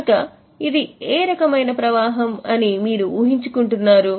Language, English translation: Telugu, So, can you guess what type of flow it is